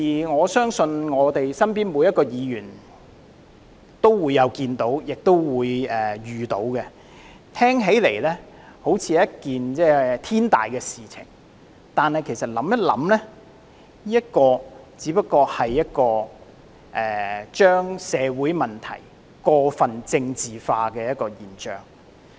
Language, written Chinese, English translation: Cantonese, 我相信每一位議員也曾看到及遇到這樣的情況，聽起來好像是一件天大的事情，但其實再想一想，這只不過是把社會問題過分政治化的現象。, I am sure every Member must have seen and encountered such a situation . It sounds like an issue of enormous import but on second thought it is actually no more than a phenomenon of over - politicization of social issues